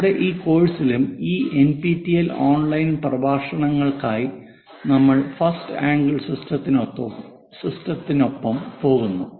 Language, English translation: Malayalam, In our entire course, for these NPTEL online lectures, we go with first angle system